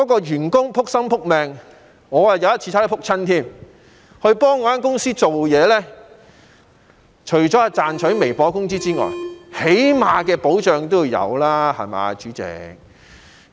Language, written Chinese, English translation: Cantonese, 員工"仆心仆命"為公司工作——我有一次也差點跌倒——除了是為賺取微薄的工資外，起碼的保障也要有吧，對嗎，主席？, By putting all their heart and soul into their work―I have once nearly stumbled while delivering takeaways―it is the hope of platform workers to get not only their meagre wages but also a basic protection